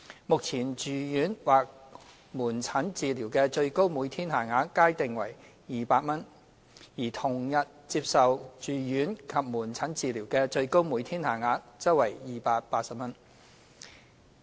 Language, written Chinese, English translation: Cantonese, 目前，住院或門診治療的最高每天限額皆定為200元，而同日接受住院及門診治療的最高每天限額則定為280元。, Currently the maximum daily rate for inpatient or outpatient treatment is both set at 200 whereas the maximum daily rate for inpatient and outpatient treatment received on the same day is set at 280